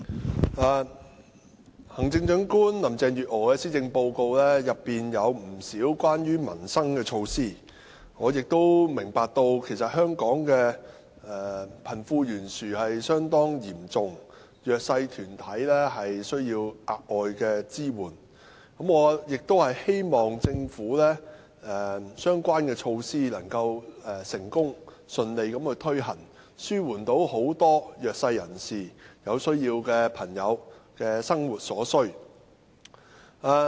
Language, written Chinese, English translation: Cantonese, 主席，行政長官林鄭月娥的施政報告裏有不少關於民生的措施，我明白香港的貧富懸殊情況相當嚴重，弱勢社群需要額外支援，我希望政府的相關措施能夠成功順利推行，紓緩弱勢人士、有需要人士的生活所需。, President in the Policy Address presented by Chief Executive Carrie LAM there are quite many measures concerning the peoples livelihood . I understand that given the serious wealth gap in Hong Kong the disadvantaged need additional support . I hope the relevant measures of the Government can be implemented smoothly to alleviate the everyday needs of the disadvantaged and people in need